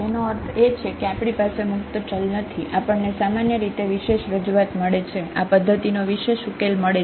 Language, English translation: Gujarati, Meaning when we do not have a free variable we will get basically the unique representation, the unique solution of this system